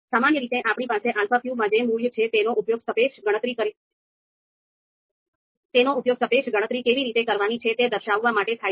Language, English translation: Gujarati, Now typically the values that we have in alpha q, they are used to compute the you know they are there to indicate the relative how the relative computation is to be done